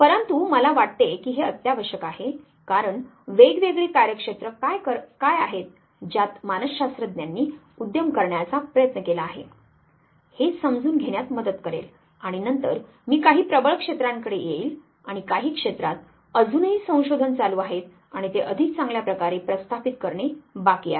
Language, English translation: Marathi, But I thought this is a essential because this will help you understand that what are different domains in which psychologist have tried to venture and then, I would come across the some of the dominant areas and some of the areas were still research taking place and it is yet to establish itself in the much better way